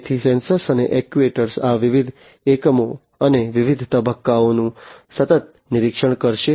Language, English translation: Gujarati, So, sensors and actuators will do the continuous monitoring of these different units and the different phases